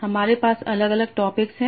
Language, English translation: Hindi, So, these are two topics